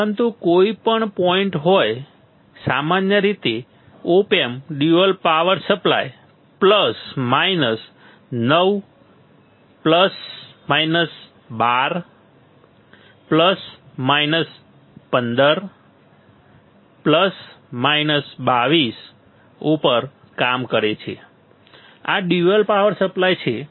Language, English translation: Gujarati, But anyway point is in general op amp works on dual power supply, the dual power supply is plus minus 9, plus minus 12, plus minus 15 plus, minus 22 two ok, these are the dual power supply